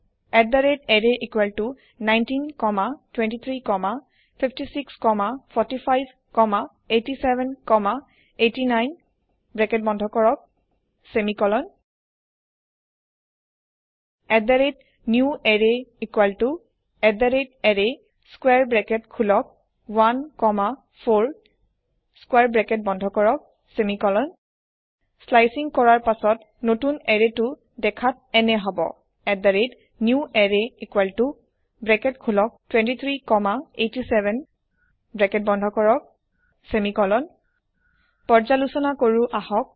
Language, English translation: Assamese, @array = 19 comma 23 comma 56 comma 45 comma 87 comma 89 close bracket semicolon @newArray = @array open square bracket 1 comma 4 close square bracket semicolon After slicing, the newArray will look like @newArray = open bracket 23 comma 87 close bracket semicolon Let us summarize